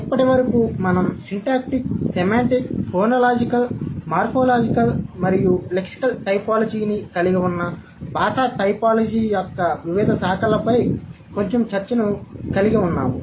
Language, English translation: Telugu, Until now we have had quite a bit of discussion on various branches of linguistic typology which includes syntactic, semantic, phonological, morphological and lexical typology